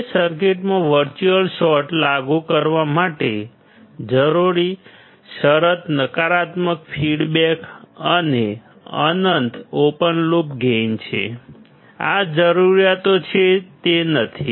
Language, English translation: Gujarati, Now, the condition required to apply virtual short in the circuit is the negative feedback and infinite open loop gain; these are the requirements is not it